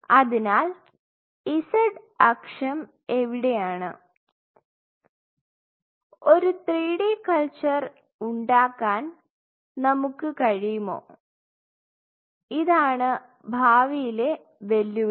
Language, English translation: Malayalam, So, where is the z axis now could we make a 3 D culture and the challenge will be could we make a 3D pattern culture that is where the future is